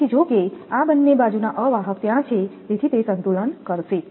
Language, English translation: Gujarati, So, though these will both the side insulators are there so it will balance that one